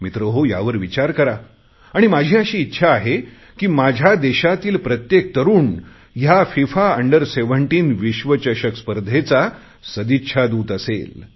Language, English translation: Marathi, I would like every youth of mine to become an ambassador for the 2017 FIFA Under17 World Cup